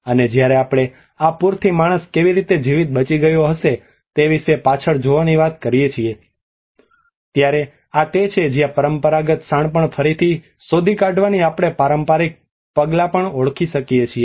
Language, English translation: Gujarati, And when we talk about the looking back about how man has lived and have survived these floods this is where the traditional measures we can even identifying from the rediscovering the traditional wisdom